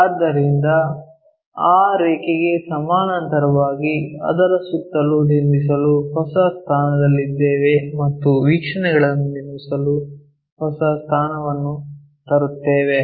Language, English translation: Kannada, So, parallel to that line if we are new position to construct around that we will bring new position to construct the views